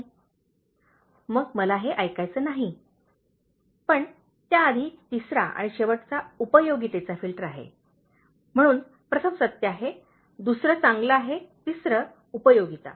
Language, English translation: Marathi, ” then I don’t want to hear this thing but before that the third and “The last is the filter of utility,” so first one is truth, second one is good, third one is utility